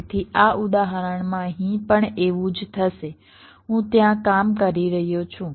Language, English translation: Gujarati, so same thing will happen here in this example